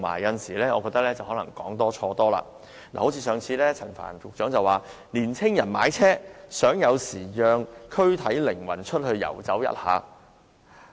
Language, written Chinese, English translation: Cantonese, 有時候，他更是說多錯多，例如他早前表示，年青人買車是想有時讓軀體靈魂出去遊走一下。, Actually the more he speaks the more mistakes he commits . For example he said earlier that sometimes young peoples purpose of purchasing private cars is just to let their bodies and souls enjoy some freedom